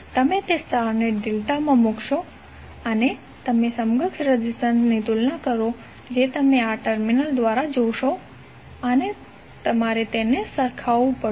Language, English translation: Gujarati, You will put that star into the delta and you will compare the equivalent resistances which you will see through these terminals and you have to just equate them